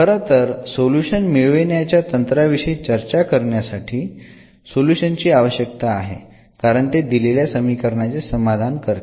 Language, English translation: Marathi, In fact, at this point because we are now going to discuss the solution techniques, this is a needed a solution because this will satisfies the given differential equation